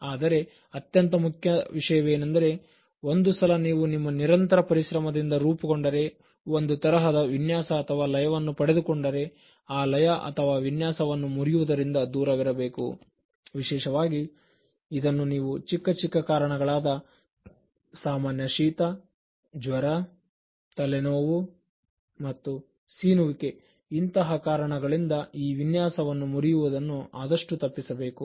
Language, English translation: Kannada, But, the most important point is that once you have formed, gained a kind of rhythm by your continuous and then consistent efforts, you should avoid breaking the rhythm, you should avoid breaking it especially for very minor reasons particularly a slight cold, light fever, slight headache, some sneezing